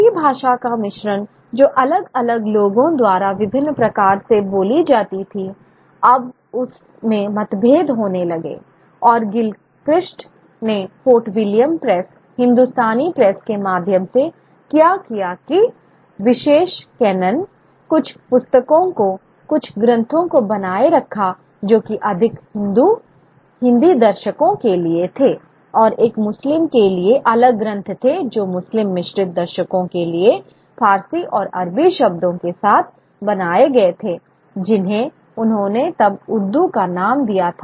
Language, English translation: Hindi, And what Gilchrist did through the Fort William Press, the Hindustani Press, was to maintain exclusive canon, certain books, certain texts which were, which were meant for more Hindu, Hindi audience and a Muslim, and there were different texts which were more for Muslim sort of mixed audience with Persian and Arabic words, which he then termed as Urdu